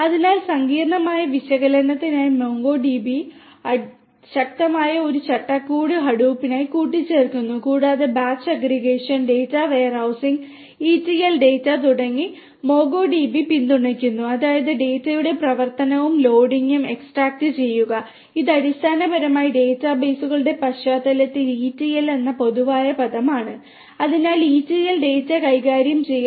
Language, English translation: Malayalam, So, Hadoop basically adds as a powerful framework to MongoDB for complex analytics and different applications are supported by MongoDB such as batch aggregation, data warehousing and ETL data; that means, extract transform and loading of data, this is basically common term ETL in the context of databases so, ETL data handling